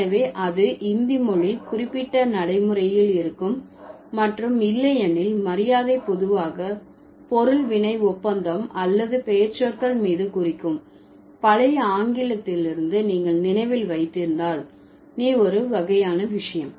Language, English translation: Tamil, So, that would be language specific pragmatics of Hindi and otherwise honorification is generally subject verb agreement or marking on the pronouns, the, the kind of thing if you remember from the old English